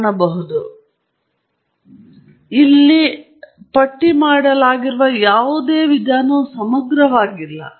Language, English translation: Kannada, What I listed here is by no means exhaustive